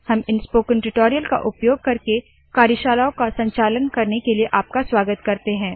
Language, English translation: Hindi, We welcome you to conduct workshops using these spoken tutorials